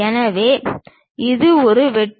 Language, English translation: Tamil, So, it is a blank one